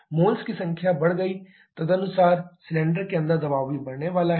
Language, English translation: Hindi, Number of moles increased accordingly pressure inside the cylinder is also is going to increase